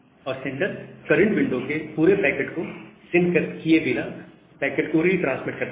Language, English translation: Hindi, And the sender retransmit that packets without sending the whole packet of the current window